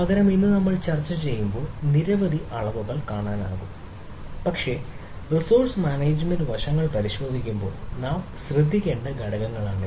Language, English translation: Malayalam, rather, there are several metrics which we will see when we discuss today, but these are the aspects we need to look at when, when we look at the resource management aspects